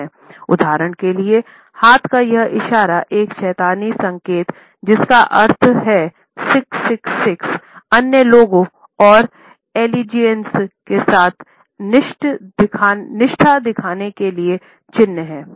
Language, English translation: Hindi, For instance this hand sign is a satanic sign meaning 666 to show others and allegiance with sign